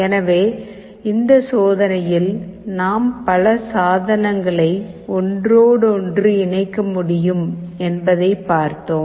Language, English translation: Tamil, So, in this experiment what we have seen is that we can have multiple devices interfaced